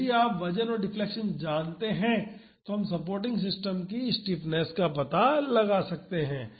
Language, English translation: Hindi, So, if you know the weight and the deflection we can find the stiffness of the supporting system